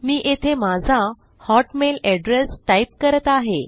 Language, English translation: Marathi, I will type my hotmail address here